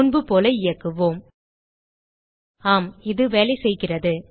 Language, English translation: Tamil, Execute as before Yes, it is working